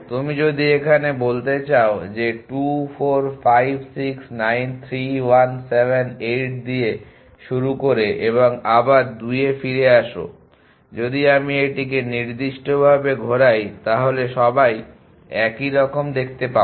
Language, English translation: Bengali, If you means start with 2 4 5 6 9 3 1 7 8 and come back to 2 if I rotated this by certain all would see the same to